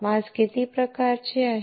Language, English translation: Marathi, How many types of masks are there